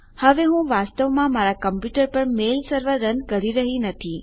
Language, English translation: Gujarati, Now I am not actually running a mail server on my computer